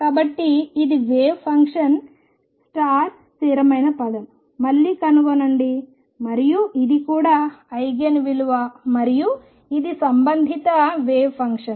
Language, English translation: Telugu, So, again find the constant times the wave function and this is also therefore, an Eigen value and this is the corresponding wave function how does it look